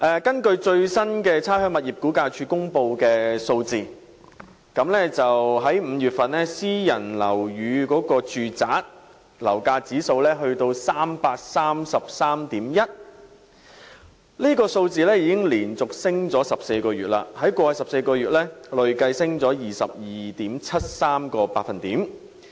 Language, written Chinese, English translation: Cantonese, 根據差餉物業估價署公布的最新數字 ，5 月份私人住宅樓價指數為 333.1， 已經連續上升14個月，在過去14個月累計升了 22.73%。, According to the latest statistics released by the Rating and Valuation Department private domestic property price index rose for the 14 consecutive month to 333.1 in May . The accumulated rate of increase over the past 14 months is 22.73 %